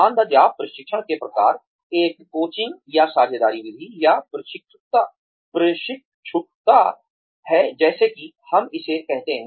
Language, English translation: Hindi, Types of on the job training is, one is the coaching or understudy method, or apprenticeship, as we call it